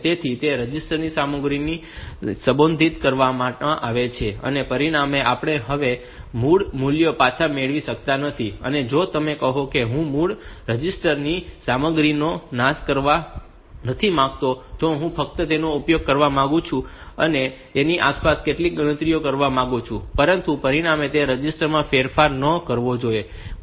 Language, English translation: Gujarati, So, we do not get back the original values now if you say that I do not want to destroy the contents of those original registers, I just want to use it and do some calculations around that, but the result should not modify those registers